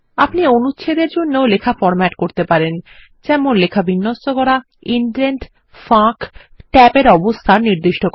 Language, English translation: Bengali, You can also format text for Paragraph, that is align text, set indents or spacing and set tab positions